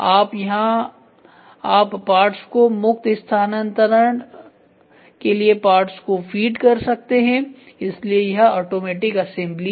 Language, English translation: Hindi, So, here you can feed the parts for free transfer and other things so this is automatic assembly